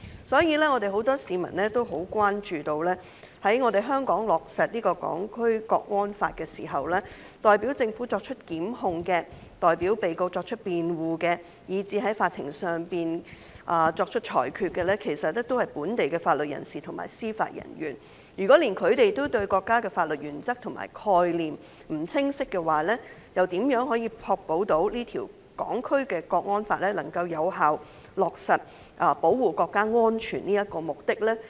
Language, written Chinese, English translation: Cantonese, 所以，很多市民關注到，在香港落實《港區國安法》後，代表政府作出檢控、代表被告作出辯護，以至在法庭上作出裁決的，是本地的法律人士及司法人員。如果連本地某些法律人士也對國家的法律原則和概念不清晰，又怎確保《港區國安法》能夠有效落實保護國家安全的目的？, After the implementation of the National Security Law in Hong Kong the local legal professionals and judicial officers will be responsible for instituting prosecutions on behalf of the Government making defence on behalf of defendants and even making rulings in courts many members of the public are thus worried that if these people do not have a clear understanding of the legal principles and concepts of the State how can they ensure that the National Security Law can effectively achieve its object of safeguarding national security?